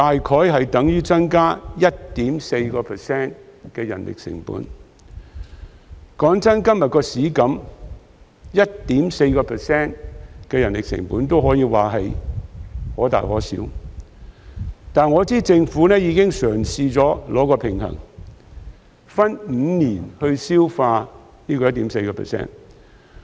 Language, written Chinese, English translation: Cantonese, 老實說，對於現時的市場情況，增加 1.4% 的人力成本可以說是可大可小的，但我知道政府已嘗試取得平衡，分5年消化這 1.4%。, Honestly speaking under the present market situation an increase in manpower cost by 1.4 % may be significant but I know the Government has already tried to strike a balance by absorbing this 1.4 % over five years